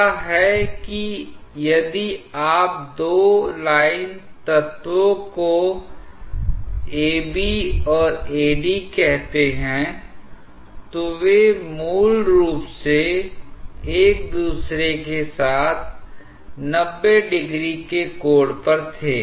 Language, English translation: Hindi, What is that if you consider two line elements say A, B and A, D, they were originally at an angle 90 degree with each other